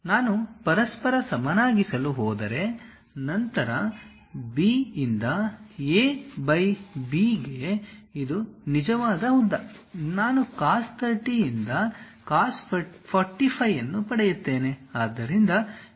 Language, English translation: Kannada, If I am going to equate each other; then B by A by B which is true length; I will get cos 45 by cos 30